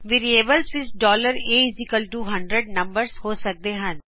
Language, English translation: Punjabi, Variables can contain numbers $a=100